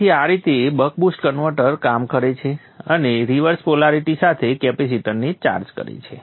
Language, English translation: Gujarati, So this is how the Buck Post converter works and charges of the capacitor with the reverse polarity